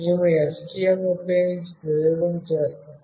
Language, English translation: Telugu, We have done the experiment using STM